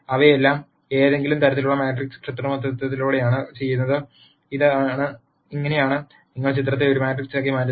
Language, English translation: Malayalam, And all of those are done through some form of matrix manipulation and this is how you convert the picture into a matrix